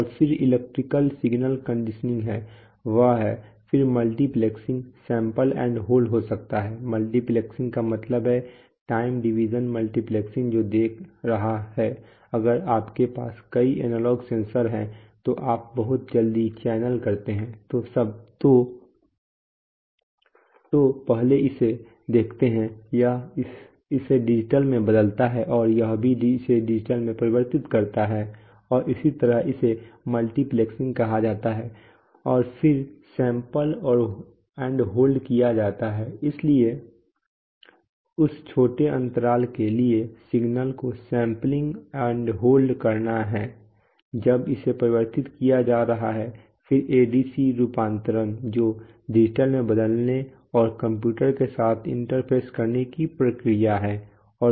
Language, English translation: Hindi, And then there is electrical signal conditioning then there is, that, then there could be multiplexing sample and hold, multiplexing means that, you know, time division multiplexing that is looking, if you have a number of analog sensor very quickly you scan the channels so first see this one convert this to digital then see that one convert this to digital and so on so that is called multiplexing and then sample and hold, so sampling and holding the signal for that small interval of time when it is being converted then ADC conversion the process of converting it to digital and interfacing with computer